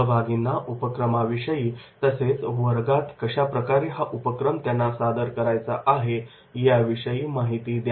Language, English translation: Marathi, Brief participants about activities and how they have to perform that activity in the class